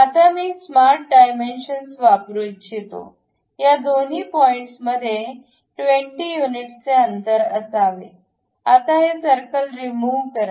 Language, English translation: Marathi, Now, I would like to use smart dimension, this point and this point supposed to be at 20 units of distance, done